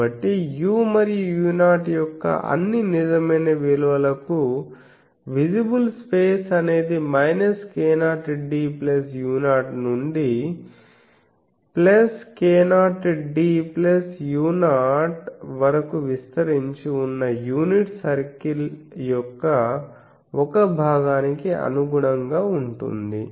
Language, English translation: Telugu, So, for all real values of u and u 0, visible space will correspond to a portion of the unit circle extending from minus k 0 d plus u 0 to plus k 0 d plus u 0